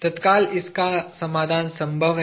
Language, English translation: Hindi, Immediately, it is possible to solve